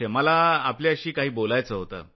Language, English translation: Marathi, I wanted to talk to you